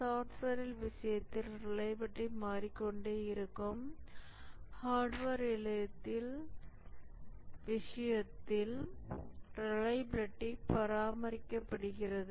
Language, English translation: Tamil, And therefore, the reliability keeps on changing in case of software, whereas in case of hardware, the reliability is maintained